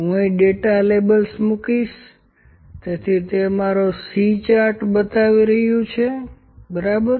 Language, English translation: Gujarati, I will just put data labels here, so it is showing my C chart here, ok